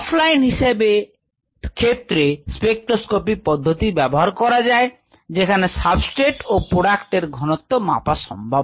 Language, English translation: Bengali, spectroscopic methods can be used for off line measurement of concentration of substrates and products